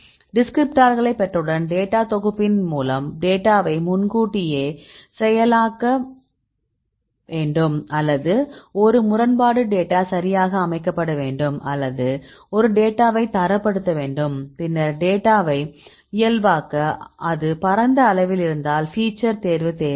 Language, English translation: Tamil, So, once we derive the descriptors, then we need to preprocess the data by the data set is fine or you need a discrepancy data set right or we need to standardize a data right then the normalize the data, if it is a wide range near the normalize the data then we need the feature selection